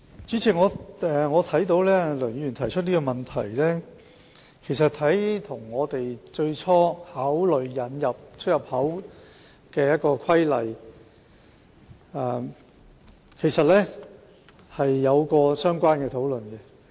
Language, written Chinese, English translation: Cantonese, 主席，對於梁議員提出的問題，其實我們在最初考慮實施《規例》時，曾作出討論。, President we did discuss the questions raised by Mr LEUNG when we first considered the enactment of the Regulation